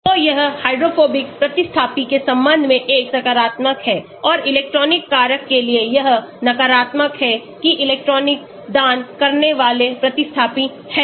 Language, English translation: Hindi, so it is a positive with respect to the hydrophobic substituents, and it is negative with respect to electronic factor that is electronic donating substituents